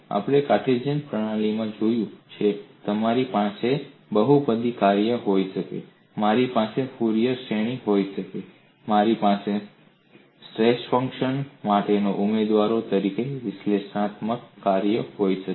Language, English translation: Gujarati, I could have polynomial functions, I could have Fourier series, I could have analytic functions, as candidates for coining stress function